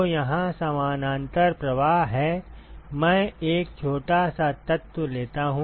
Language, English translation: Hindi, So, here is the parallel flow, I take a small element